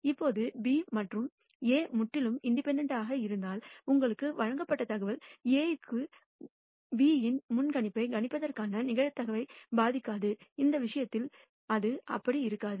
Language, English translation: Tamil, Now, if B and A were totally independent, then information that you are provided to A will not a ect the probability of predicting predictability of B it would have remain the same in this case it does not remain the same